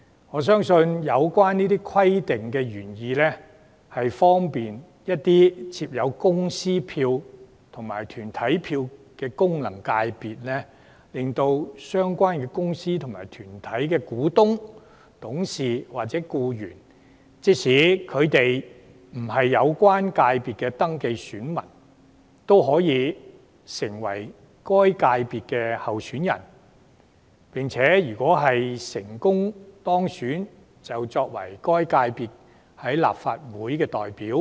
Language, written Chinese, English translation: Cantonese, 我相信有關規定的原意，是方便設有公司票及團體票的功能界別，令相關公司及團體的股東、董事或僱員，即使未登記為有關界別的選民，亦可成為該界別的候選人，有機會成為該界別的立法會代表。, I believe the original intent of this arrangement was to facilitate the FCs having corporate votes so that shareholders directors or employees of corporates though not being registered electors could become candidates for the FCs concerned to represent the corporates in the Legislative Council